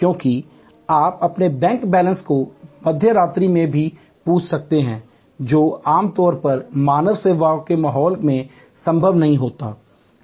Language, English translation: Hindi, Because, you can ask your bank balance even at mid night which normally you would not had been possible in the human service environment